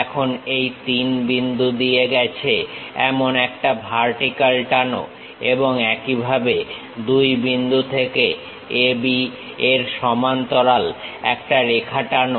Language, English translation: Bengali, Now drop a vertical passing through this 3 point and similarly drop a parallel line parallel to A B from point 2